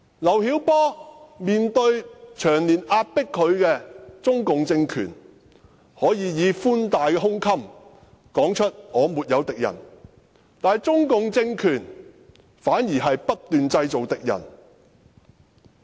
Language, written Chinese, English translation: Cantonese, 劉曉波面對長年壓迫他的中共政權，能夠以寬大的胸襟說出"我沒有敵人"，但中共政權反而不斷製造敵人。, In the face of the Communist Party of China CPC regime which has been suppressing him LIU Xiaobo managed to say in a broad - minded manner that I have no enemies but the CPC regime have conversely created enemies incessantly